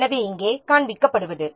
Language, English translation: Tamil, So, here what is being shown